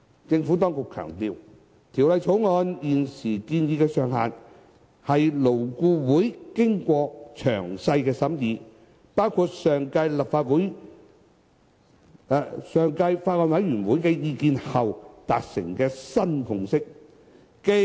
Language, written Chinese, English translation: Cantonese, 政府當局強調，《條例草案》現時建議的上限，是勞顧會經過詳細審議，包括前法案委員會的意見後，達成的新共識。, The Administration has stressed that the ceiling currently proposed in the Bill is a new consensus reached after thorough deliberations by LAB of among others the views of the Former Bills Committee